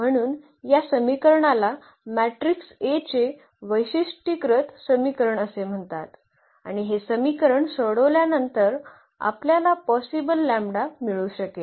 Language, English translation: Marathi, So, this equation is called characteristic equation of the matrix A and after solving this equation we can get the possible lambdas